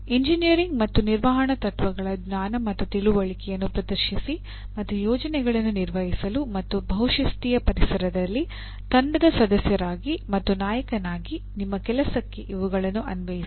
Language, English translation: Kannada, Demonstrate knowledge and understanding of the engineering and management principles and apply these to one’s own work, as a member and a leader in a team to manage projects and in multidisciplinary environments